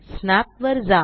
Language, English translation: Marathi, Go to Snap